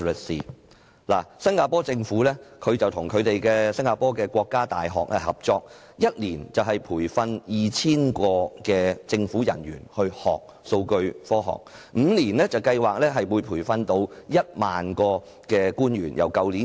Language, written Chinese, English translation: Cantonese, 新加坡政府與新加坡國家大學合作，每年培訓 2,000 名政府人員讓其學習數據科學，預計5年內會培訓1萬名人員。, The Singapore Government cooperated with the National University of Singapore in training 2 000 government officers in data science each year . It is expected that 10 000 officers will be trained within five years